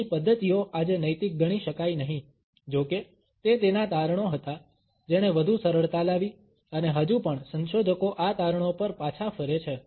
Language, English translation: Gujarati, His methods today cannot be considered ethical; however, it was his findings which created more on ease and is still researchers go back to these findings